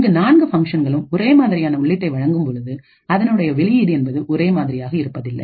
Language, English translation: Tamil, If I give the same input to all of the 4 functions, what I would expect is 4 responses and all of the responses would be different